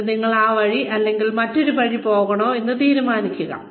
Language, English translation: Malayalam, And then decide, whether you want to go, one way or another